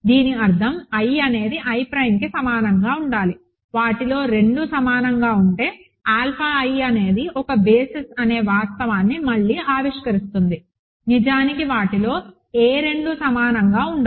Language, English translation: Telugu, This means i must be equal to i prime, right again invoking the fact that alpha i is form a basis, if two of them are equal, no two of them are equal actually